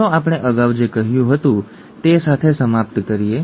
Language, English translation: Gujarati, Let us finish up with what we said earlier